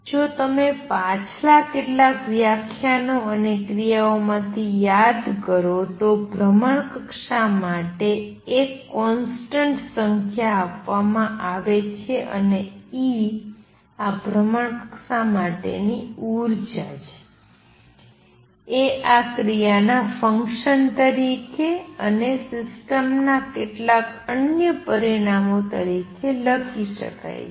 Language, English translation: Gujarati, If you just recall from previous few lectures and action, therefore, is a constant is a number is a number given for this orbit and E the energy for this orbit can be written as a function of this action and some other parameters of the system; obviously, you see that if I change the action value, I will change the orbit